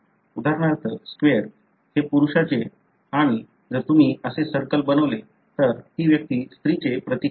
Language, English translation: Marathi, For example, the square is a symbol for male and, another individual if you make a circle that individual represent a female